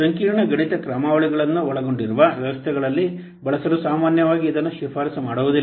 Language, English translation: Kannada, Normally it is not recommended for use in systems which involve complex mathematical algorithms